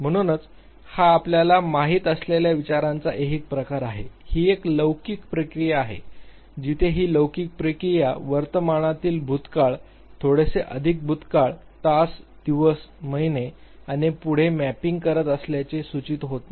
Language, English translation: Marathi, So, that is the temporal type of a think you know, it is a temporal process where as this temporal process is not an indicated that it is mapping the present immediate past, little more past, hours, days, months and so forth